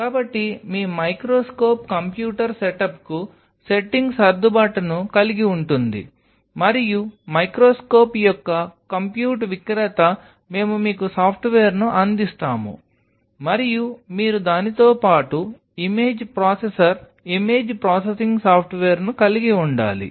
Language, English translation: Telugu, So, your microscope will have a setting adjustment to it computer setup and then of course, the seller of the compute of the microscope we will provide you the software, and you have to image processor image processing software along with it